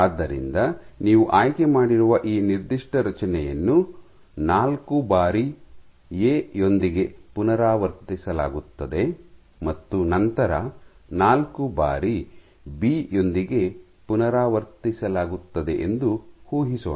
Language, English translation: Kannada, So, let us assume you have chosen this particular construct which is A repeated 4 times and followed by B repeated 4 times